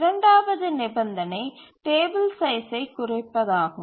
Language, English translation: Tamil, The second condition is minimization of the table size